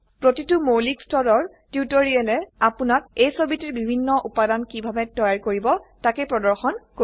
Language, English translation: Assamese, Each basic level tutorial will demonstrate how you can create different elements of this picture